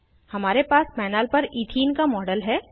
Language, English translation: Hindi, We have a model of Ethene on the panel